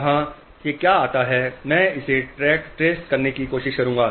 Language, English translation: Hindi, What comes from here, I will just try to trace it